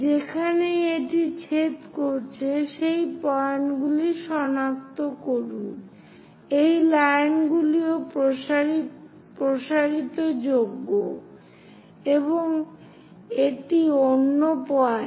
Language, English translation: Bengali, So, wherever it is intersecting locate those points, these line also extendable, and this is other point